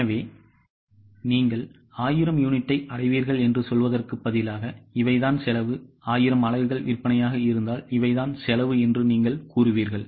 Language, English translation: Tamil, So, instead of saying that you will achieve 1,000 units, so these are the costs, you will say that if 1,000 units is a sales, these are the costs, if 1,100 these are the cost